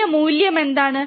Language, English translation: Malayalam, What is the new value